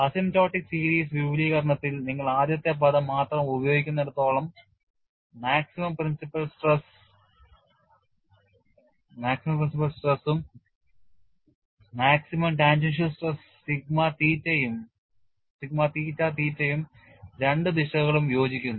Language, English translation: Malayalam, As long as a use only the first term in the asymptotic series expansion, the maximum principal stress as well as maximum tangential stress sigma theta theta, both the directions coincide